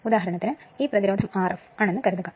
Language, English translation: Malayalam, For example, suppose this resistance is R f right